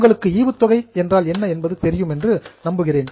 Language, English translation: Tamil, I hope you know what is a dividend